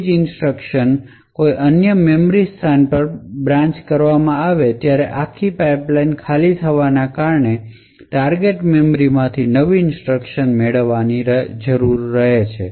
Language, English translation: Gujarati, So, every time there is a branch like this to another memory location, this entire pipeline would get flushed and new instructions would need to be fetched from the target memory